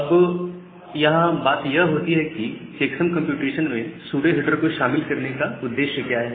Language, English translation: Hindi, So, that is why you put the pseudo header as a part of the checksum computation